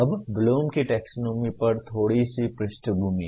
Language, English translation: Hindi, Now a little bit of background on Bloom’s taxonomy